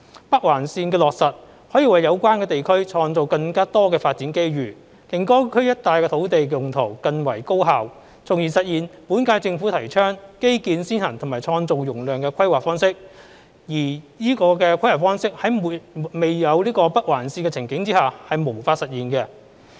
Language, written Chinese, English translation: Cantonese, 北環線的落實可為有關地區創造更多發展機遇，令該區一帶的土地用途更為高效，從而實現本屆政府提倡基建先行及創造容量的規劃方式，而此規劃方式在沒有北環線的情景下是無法實現。, The implementation of NOL can create more development opportunities for the area concerned to improve the use of land in the vicinity of the area thereby realizing the infrastructure - led and capacity creating planning approach advocated by the current - term Government . And yet this planning approach cannot be realized without NOL